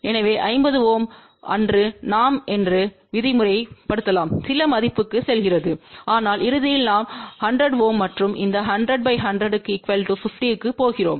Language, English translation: Tamil, So, on 50 ohm let us say we are going to some value, but ultimately we are going to 100 ohm and these 100 in parallel with 100 will be 50